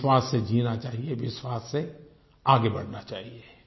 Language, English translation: Hindi, We should live with hope, we should move ahead with confidence